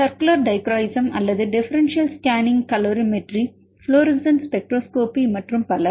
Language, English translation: Tamil, Like circular dichroism or differencial scanning calorimetry, fluorescent spectroscopy and so on